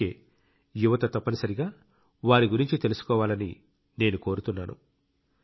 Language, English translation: Telugu, That is why I urge our youngsters to definitely know about him